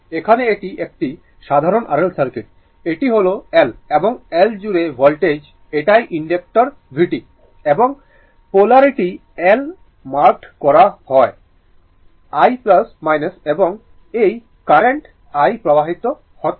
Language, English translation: Bengali, Here also, it is simple RL circuit, this is a L and voltage across L that is inductor is v t right and polarity is marked L, I sorry plus minus and this current i is flowing